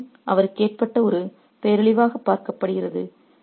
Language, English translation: Tamil, The summons is seen as a disaster that has befallen on him